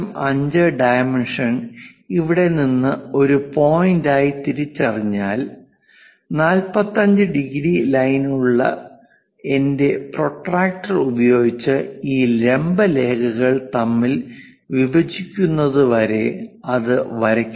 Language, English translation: Malayalam, 5 dimension from here to here as a point then, I go ahead using my protractor with 45 degrees line and stop it when it is these vertical line going to intersect